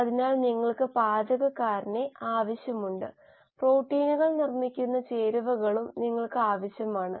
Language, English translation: Malayalam, So you need the chef, you also need the ingredients with which the proteins are made and proteins are made up of amino acids